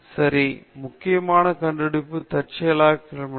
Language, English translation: Tamil, Okay so, important discoveries were made accidentally